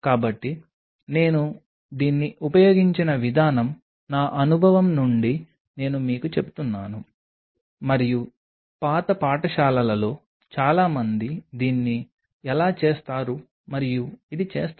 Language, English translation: Telugu, So, the way I used to do it this is from my experience I am telling you and this is how and most of the old school people use to do it